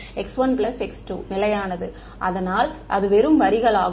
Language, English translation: Tamil, x 1 plus x 2 equal to constant right; so, that is just the line